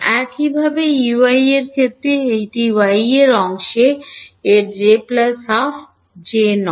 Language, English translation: Bengali, Similarly in the case of E y it is in the y part its j plus half not j